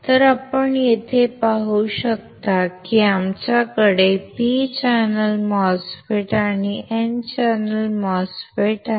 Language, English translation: Marathi, So, you can see here, we have P channel MOSFETs and N channel MOSFET